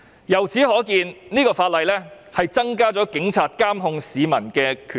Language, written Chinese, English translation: Cantonese, 由此可見，《條例草案》增加了警察監控市民的權力。, From this we can see that the Bill will increase the power of the Police in monitoring members of the public